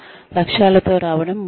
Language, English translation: Telugu, Coming up with objectives is important